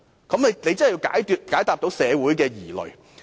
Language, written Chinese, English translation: Cantonese, 政府真的是需要解答社會疑慮。, The Government really needs to address this query in society